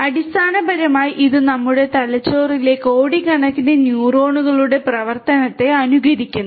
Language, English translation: Malayalam, Basically, it mimics the working function of billions of neurons in our brain deep